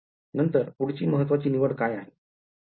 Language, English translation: Marathi, Then what is the other important choice